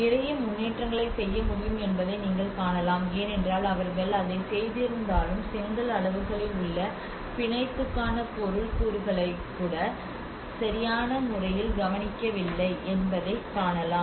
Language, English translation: Tamil, And you can see that a lot of improvement could be done because whatever they have done it still one can see that you know the bonding has not been appropriately taken care of even the material component on the bricks sizes